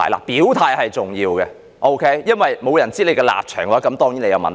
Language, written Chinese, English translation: Cantonese, 表態是重要的，因為如果沒有人知道你的立場的話，這便是你的問題。, It is important to indicate your stance because if no one knows your stance it will be your problem